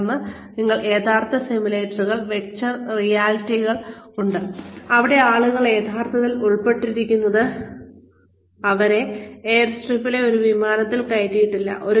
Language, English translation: Malayalam, And then, you have the actual simulators, virtual realities, where people are actually put in